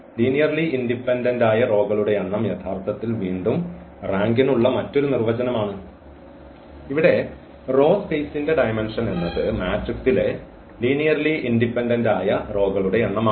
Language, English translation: Malayalam, So, the number of linearly independent rows which is actually the definition of again with the rank; so here, the dimension of the row space is nothing but the number of linearly independent rows in the matrix or the dimension of the column space